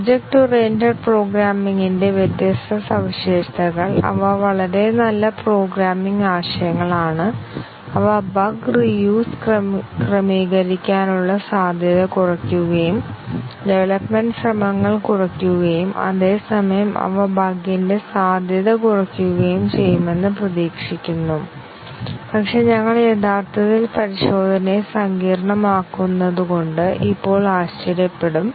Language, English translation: Malayalam, The different features of object oriented programming, they are known to be very sound programming concepts and they potentially reduce the chances of bug reuse adjusting could reduce development effort and at the same time they are also expected to reduce the chances of bug, but we will be surprised to learn now that actually complicate the testing